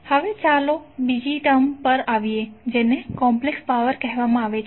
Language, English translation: Gujarati, Now let’s come to another term called Complex power